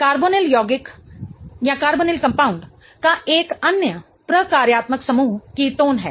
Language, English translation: Hindi, The another functional group of a carbonyl compound is ketone